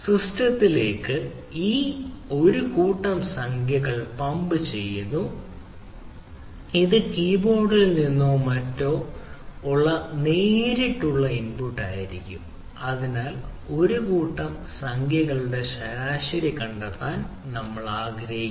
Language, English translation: Malayalam, so a set of integers being ah pumped into the system it may be a direct input from the ah ah keyboard or something, and ah, so we want to find out the average of the set of integers